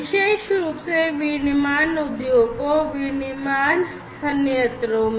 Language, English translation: Hindi, Particularly in the manufacturing, industries manufacturing plants and so on